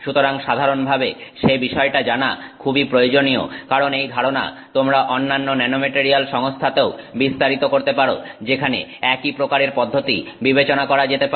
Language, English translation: Bengali, So, that's a very useful thing to know in general because we are going to you can potentially extend this to other nanomaterial systems where a similar approach can be considered